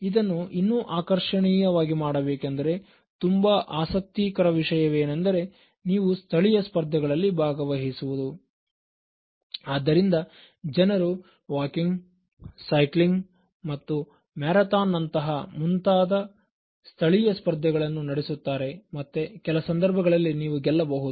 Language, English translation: Kannada, The other interesting way by which you can make it attractive is, by participating in local competitions, so people organize local competitions even for walking, cycling and then there are marathons and then occasionally you may win also